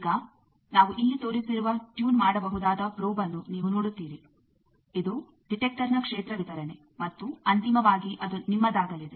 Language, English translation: Kannada, Now, you see the tunable probe we have shown here, this is the field distribution of the detector and finally, it is going to either yours